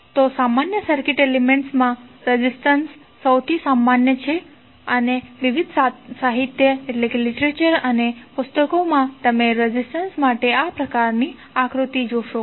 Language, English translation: Gujarati, So, in common circuit elements, resistance is one of the most common and you will see that in the various literature and books, you will see this kind of figure represented for the resistance